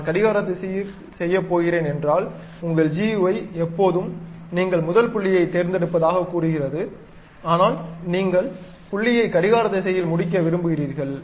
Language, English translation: Tamil, If I am going to do clockwise direction, your GUI always says that you pick the first point, but you want to end the point in the clockwise direction